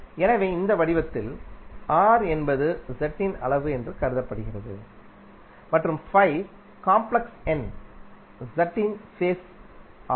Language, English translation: Tamil, So in this form r is considered to be the magnitude of z and phi is the phase of the complex number z